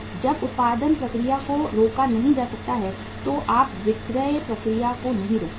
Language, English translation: Hindi, When the production process cannot be stopped you cannot stop the selling process